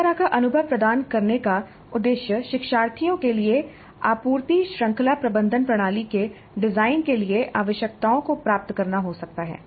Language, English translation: Hindi, Now the purpose of providing an experience like this to the learners can be to elicit the requirements for the design of a supply chain management system